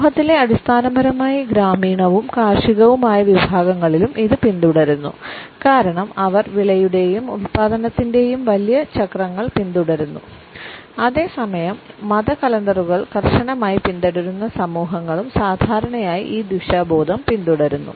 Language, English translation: Malayalam, It is also followed in those sections of the society the world over which are basically rural and agrarian because they follow the larger cycles of the crop and production etcetera and at the same time those societies which rigorously follow the religious calendars this orientation is normally found